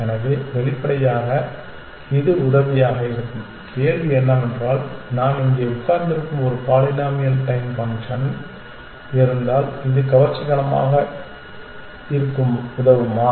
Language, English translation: Tamil, So, obviously, it likely to be helpful the question is if I have a polynomial time function sitting here is it going to help which is attractive